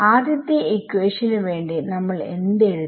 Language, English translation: Malayalam, So, the first equation what we write for our first equation